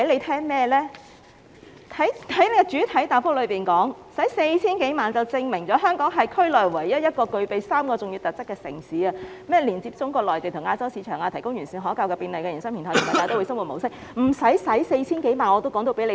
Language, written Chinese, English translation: Cantonese, 他在主體答覆表示，花 4,000 多萬元，是證明了香港是區內唯一一個具備3項重要特質的城市：連接中國內地及亞洲市場、提供完善可靠和便利的營商平台，以及大都會生活模式。, He said in the main reply that it had been proved after the spending of more than HK40 million that Hong Kong was the only city in the region that possessed three important attributes namely access to markets in Mainland China and Asia; provision of a sophisticated and secure pro - business platform; and a cosmopolitan lifestyle